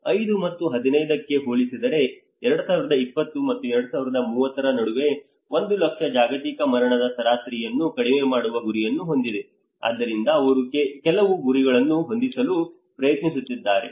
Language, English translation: Kannada, Aiming to lower average per 1 lakh global mortality between 2020 and 2030 compared to 5 and 15 so they are trying to set up some targets